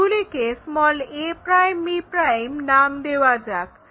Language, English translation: Bengali, Let us call that is b'